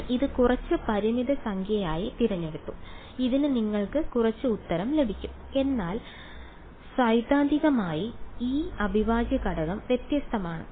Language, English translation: Malayalam, You chose it to be some finite number you will get some answer to this, but theoretically this integral is divergent